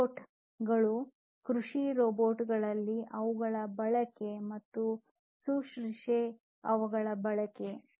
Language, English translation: Kannada, Robots and their use in agriculture robots and their use in nursing